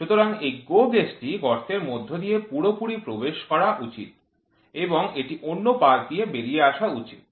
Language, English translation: Bengali, So, this GO gauge should enter fully through the hole and it should come out through the other side